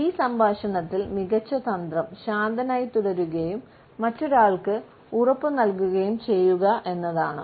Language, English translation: Malayalam, In this dialogue the best strategy to remain cool and assuring towards the other person